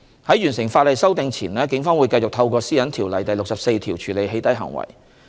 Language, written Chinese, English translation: Cantonese, 在完成法例修訂前，警方會繼續透過《私隱條例》第64條處理"起底"行為。, Prior to the completion of legislative amendments the Police will continue to tackle doxxing in accordance with section 64 of PDPO